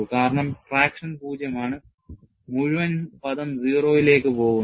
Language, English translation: Malayalam, Because traction is zero, the whole term goes to 0